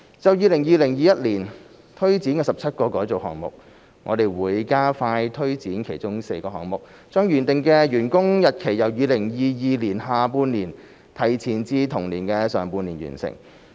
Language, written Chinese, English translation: Cantonese, 就 2020-2021 年推展的17個改造項目，我們會加快推展其中4個項目，將原定的完工日期由2022年下半年提前至同年的上半年完成。, In respect of the 17 transformation projects to be implemented in 2020 - 2021 we will expedite the implementation of four of them by advancing the date of completion from the second half of 2022 to the first half of the same year